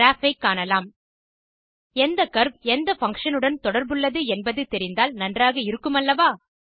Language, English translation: Tamil, You see the graph Wouldnt it be of great help to know which curve is associated with which function